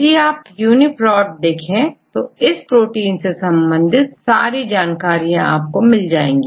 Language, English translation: Hindi, This UniProt is the unique resource for protein sequence databases